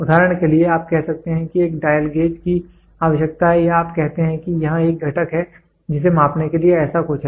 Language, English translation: Hindi, For example, you can say a dial gauge is required or you say that here is a component which is something like this to measure